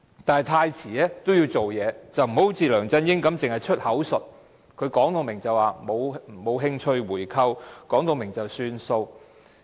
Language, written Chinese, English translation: Cantonese, 但是，太遲也要做些事，不要好像梁振英般只是出口術，明言沒有興趣回購，然後便不了了之。, That said you have to do something even though it is too late . You must not act like LEUNG Chun - ying who knows only to use verbal coercion stating expressly that he is not interested in a buy - back and then sitting on the problem